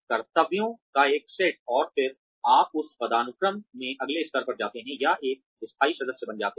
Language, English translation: Hindi, One set of duties, and then, you move on to the next level in that hierarchy, or become a permanent member